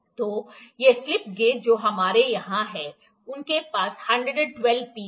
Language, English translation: Hindi, So, these slip gauges that we have here is having 112 pieces